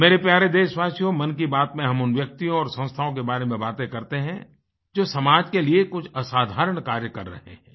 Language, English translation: Hindi, My dear countrymen, in "Mann Ki Baat", we talk about those persons and institutions who make extraordinary contribution for the society